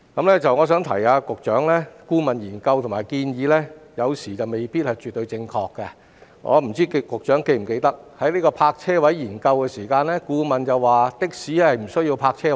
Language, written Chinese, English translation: Cantonese, 我想提醒局長，顧問研究和建議有時未必絕對正確，我不知道局長是否記得，在有關泊車位的研究中，顧問指的士不需要泊車位。, I would like to remind the Secretary that sometimes consultancy studies and recommendations may not be absolutely correct . I wonder whether the Secretary still remembers that in a study on parking spaces the consultant pointed out that taxis did not need parking spaces